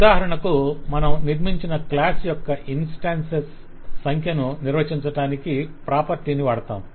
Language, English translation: Telugu, For example, if we talk of that, we have a property to define count, the number of instances of a class that we have constructed